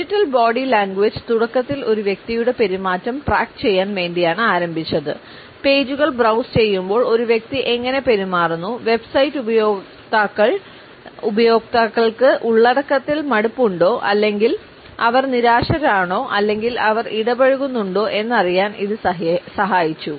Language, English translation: Malayalam, The digital body language initially is started to track a person’s behaviour, how does a person behave while browsing the pages and it helped us to know whether the website users are bored with the content or they are frustrated or they are engaged etcetera